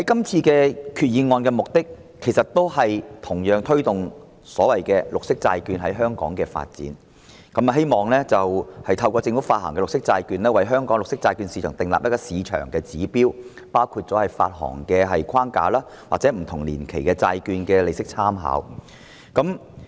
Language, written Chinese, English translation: Cantonese, 這項決議案的目的其實同樣是推動綠色債券在香港的發展，希望透過由政府發行的綠色債券，為香港的綠色債券市場訂立市場指標，包括發行框架或不同年期債券的利息參考。, This Resolution also seeks to promote the development of green bonds in Hong Kong . It is hoped that through green bond issuance by the Government standards can be established in the green bond market in Hong Kong including an issuance framework and reference interest rates for different tenors